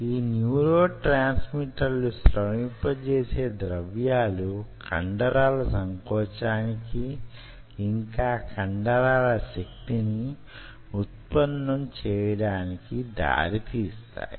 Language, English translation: Telugu, those neurotransmitter secretion will lead to muscle contraction, further lead to muscle force generation